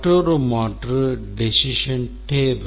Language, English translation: Tamil, Another alternative is the decision table